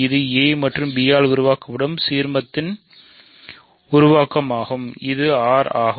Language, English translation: Tamil, It is the generator of the ideal generated by a and b which is R